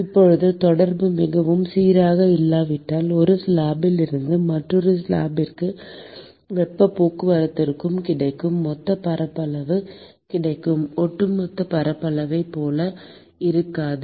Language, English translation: Tamil, Now if the contact is not very smooth, then the total surface area which is available for heat transport from one slab to the other slab is not as much as the overall surface area which is available